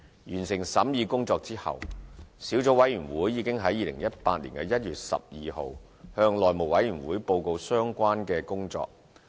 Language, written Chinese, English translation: Cantonese, 完成審議工作後，小組委員會已在2018年1月12日向內務委員會報告相關工作。, After the completion of the scrutiny the Subcommittee reported to the House Committee its work on 12 January 2018